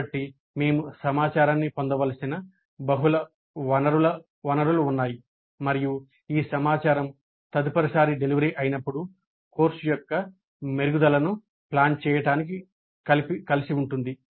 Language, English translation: Telugu, So there are multiple sources from which we should get information and this information is all pulled together to plan the improvements for the course the next time is delivered